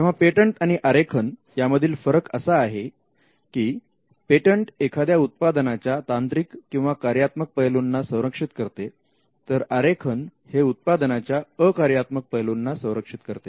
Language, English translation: Marathi, So, the difference between a patent and a design is that the patent if it manifests in a product, the patent protects the technical parts or the technical aspects or the functional aspects, whereas the design is for the non functional aspects of a product